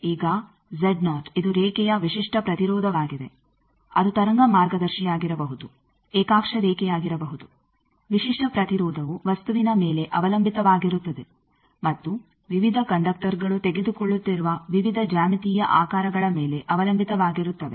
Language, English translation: Kannada, Now Z 0 the characteristic impedance of the line it may be wave guided may be a coaxial line thing that characteristic impedance depends on the material and also the various geometrical shapes that various conductors they are taking